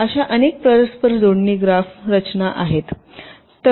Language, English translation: Marathi, so we shall see several such interconnection graph structure